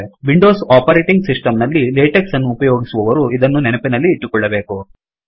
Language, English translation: Kannada, Those who use latex in Windows operating system should remember this